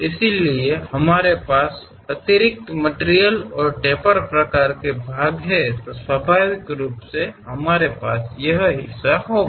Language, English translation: Hindi, Similarly, we have an extra material and taper kind of thing then naturally we will have this portion